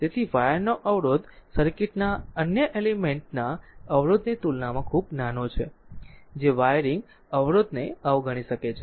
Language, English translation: Gujarati, So, the resistance of the wire is so small compared to the resistance of the other elements in the circuit that we can neglect the wiring resistance